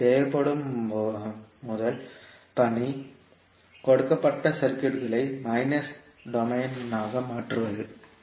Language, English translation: Tamil, So first task which is required is that convert the given circuit into s minus domain